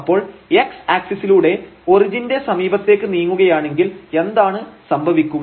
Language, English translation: Malayalam, So, along x axis if we move towards the origin, then what will happen